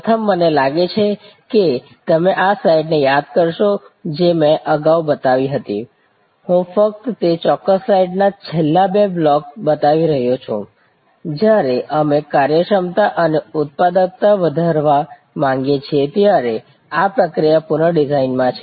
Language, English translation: Gujarati, First, I think you will recall this slide which I had shown earlier, I am only showing the last two blocks of that particular slide, that in process redesign when we want to increase efficiency and productivity